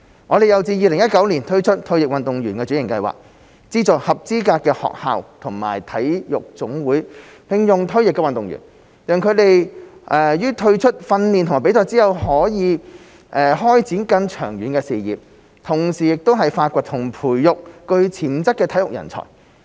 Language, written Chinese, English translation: Cantonese, 我們又自2016年推出退役運動員轉型計劃，資助合資格的學校和體育總會聘用退役運動員，讓他們於退出訓練和比賽後可開展更長遠的事業，同時發掘和培育具潛質的體育人才。, We have also implemented the Retired Athletes Transformation Programme RATP since 2016 to subsidize eligible schools and NSAs to employ retired athletes so as to enable them to develop long - term careers upon retirement from training and competitions as well as help identify and nurture potential sports talents